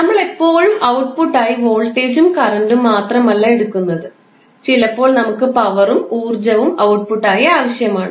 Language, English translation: Malayalam, Now, it is not that we always go with voltage and current as an output; we sometimes need power and energy also as an output